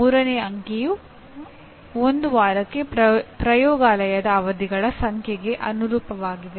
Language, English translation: Kannada, The third digit corresponds to number of laboratory sessions per week